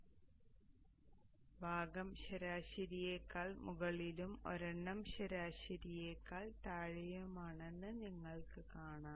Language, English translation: Malayalam, So you see that the portion above the average and the one below the average